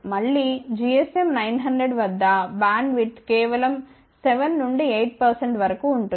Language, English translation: Telugu, Again at gsm 900 bandwidth is just about 7 to 8 percent